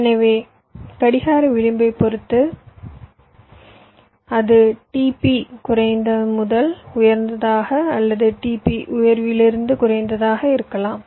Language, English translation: Tamil, so, depending on the clock edge your working, it can be t p low to high or t p high to low